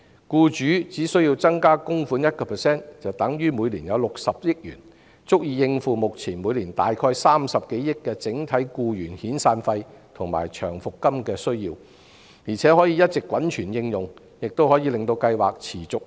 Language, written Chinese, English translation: Cantonese, 僱主只須增加供款 1%， 就等於每年有60億元，足以應付目前每年大概30億元的整體僱員遣散費及長期服務金的需要，而且可以一直滾存應用，令計劃持續運作。, Just an additional contribution of 1 % by employers amounts to 6 billion every year which is sufficient to meet the current need for the aggregate severance payment and long service payment to employees ie . approximately 3 billion each year presently . Also such a sum can accumulate for future use for the sustainable operation of the scheme